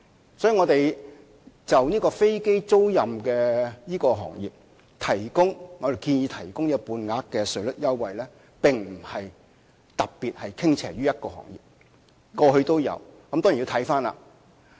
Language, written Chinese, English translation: Cantonese, 因此，我們建議為飛機租賃行業提供半額稅率優惠，並非是特別向某個行業傾斜，過去亦有先例。, Hence in proposing to offer half rate tax concessions for the aircraft leasing industry we are not being favourable to a particular industry . There are also precedent cases in the past